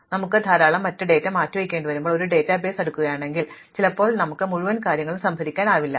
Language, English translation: Malayalam, On the other hand when we have to move a lot of data, sometimes we cannot store the entire thing if you are sorting a database